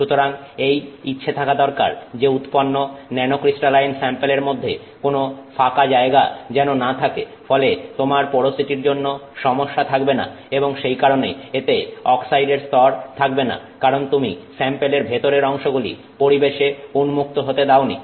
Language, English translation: Bengali, So, there is interest to do to create a nanocrystalline sample that is non porous where you don't have this issue of porosity being present and which essentially doesn't have oxide because you have not allowed the interior of the sample to be exposed to the atmosphere